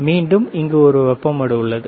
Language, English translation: Tamil, And again, there is a heat sink